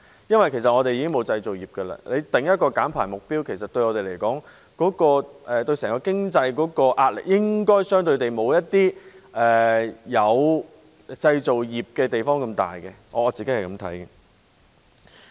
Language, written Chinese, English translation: Cantonese, 因為香港已沒有製造業，政府制訂減排目標，對我們整體經濟的壓力應該不會像一些有製造業的地方那麼大，這是我個人看法。, In my personal view since Hong Kong is already devoid of manufacturing the pressure on our overall economy due to the emission reduction targets set by the Government should not be so great as that on some places with manufacturing industries